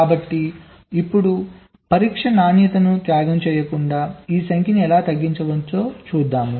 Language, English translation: Telugu, so now we see how we can reduce this number without sacrificing the quality of test